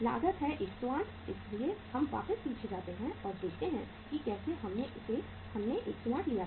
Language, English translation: Hindi, Cost is 108 so uh let us go back and see here how we have taken the 108